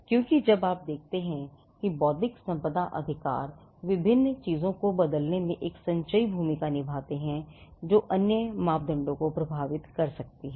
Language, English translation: Hindi, Because when you see that intellectual property rights play a cumulative role in changing various things which can affect other parameters as well